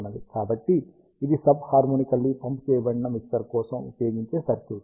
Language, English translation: Telugu, So, this is the circuit used for sub harmonically pumped mixer